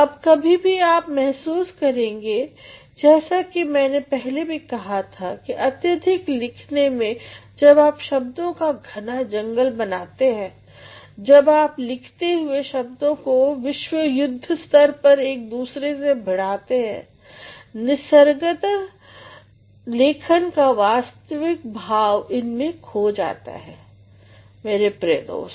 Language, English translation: Hindi, Now sometimes you feel as I said earlier that too much of writing when you create a sort of jungle of words, when you make you write in world wars naturally the real sense of writing is lost, my dear friend